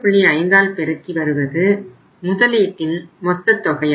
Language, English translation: Tamil, This is going to be the total investment